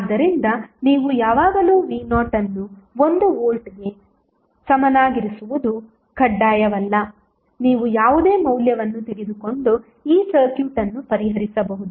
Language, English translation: Kannada, So, it is not mandatory that you always keep V is equal to 1 volt you can take any value and solve this circuit